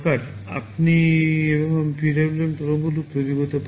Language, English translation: Bengali, This is how you can generate a PWM waveform